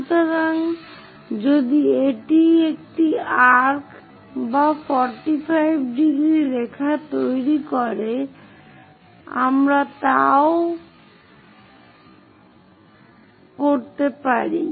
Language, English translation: Bengali, So, if this is the one make an arc or 45 degrees line, also we can really do that